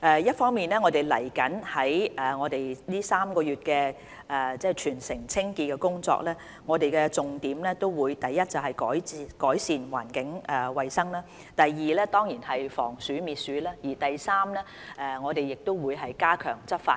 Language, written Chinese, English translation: Cantonese, 一方面，就未來3個月全城清潔工作的重點，第一，就是改善環境衞生；第二，當然是防鼠滅鼠；第三，我們會加強執法。, Firstly regarding the three - month territory - wide cleaning campaign first we need to improve environmental hygiene; second of course it is rodent prevention and control; third we will enhance enforcement work